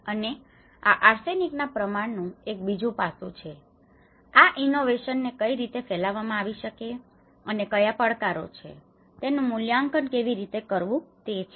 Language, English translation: Gujarati, And this is also an another aspect of the arsenic content and how innovation could be diffused and what are the challenges and how one can assess it